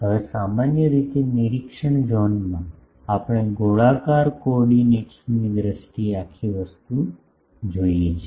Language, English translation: Gujarati, Now, generally in the observation zone, we want the whole thing in terms of spherical coordinates